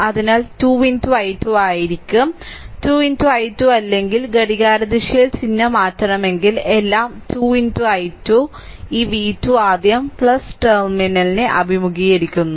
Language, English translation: Malayalam, So, it will be 2 into i 2 that 2 into i 2 right otherwise clockwise if you take sign has to be change thats all 2 into i 2 plus this v v 2 it is encountering plus terminal first